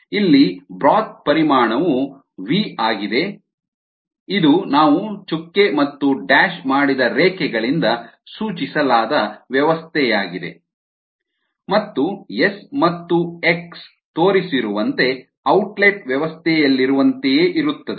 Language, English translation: Kannada, here the volume of the broth is v, which is also the system that we have chosen, indicated by these dotted and dashed lines, and s and x are the same as in the outlet system is shown